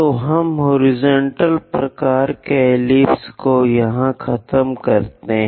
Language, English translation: Hindi, So, we are done with horizontal kind of ellipse